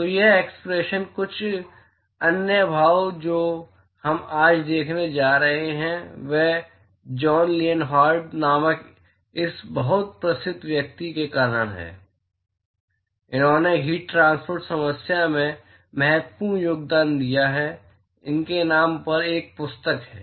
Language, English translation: Hindi, So, this expression and some of the other expressions we are going to see today is because of this very well known person called John Lienhard; he has made significant contributions to heat transport problem that he has a book to his name